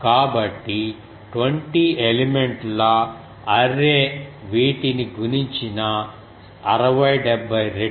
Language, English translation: Telugu, So, it is 60 70 times the 20 element array has multiplied these